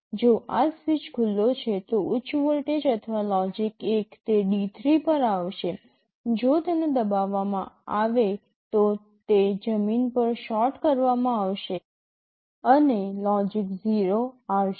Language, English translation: Gujarati, If this switch is open, high voltage or logic 1 will come to D3, if it is pressed it will be shorted to ground, and logic 0 will come